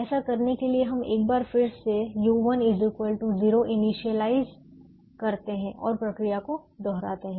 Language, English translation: Hindi, to do that, we once again initialize u one equal to zero and repeat the procedure